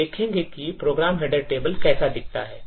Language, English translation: Hindi, So, we will look how the program header table looks like